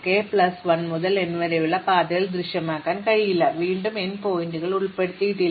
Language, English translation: Malayalam, So, k plus 1 to n cannot appear in the path and again the end points are not included